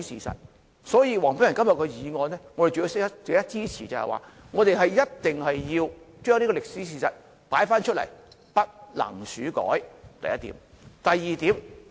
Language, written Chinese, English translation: Cantonese, 所以，黃碧雲議員今天的議案是值得我們支持的，我們一定要重提這個歷史事實，不能竄改，這是第一點。, Therefore Dr Helena WONGs motion today is worthy of our support . We must revisit this historical fact without tampering with it . This is the first point